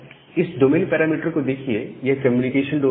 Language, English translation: Hindi, Now, this domain parameter it is the communication domain